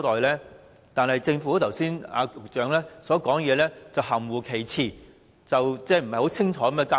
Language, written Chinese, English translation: Cantonese, 然而，局長發言時卻含糊其辭，未有清楚交代。, However the Secretary made ambiguous remarks in his speech and failed to give a clear account